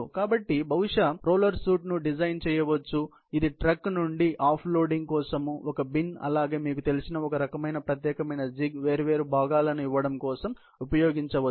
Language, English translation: Telugu, So, you can design probably a roller shoot that can be used for off loading from the truck, a bin, as well as some kind of a specialized jig you know, for giving different components